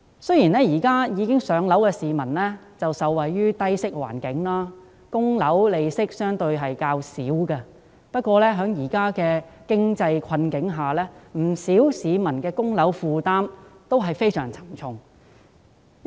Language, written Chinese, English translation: Cantonese, 雖然現時已置業的市民均受惠於低息環境，償還物業貸款的利息相對較少，但在現時的經濟困境下，不少市民均面對非常沉重的供樓負擔。, Although people who have already bought their own homes do benefit from the current low interest rate environment and enjoy relatively low interest for repayment of property loans many people are facing a very heavy mortgage burden amid the current economic difficulties